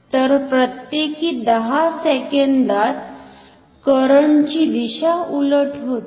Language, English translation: Marathi, So, every 10 second the direction of the current is reversed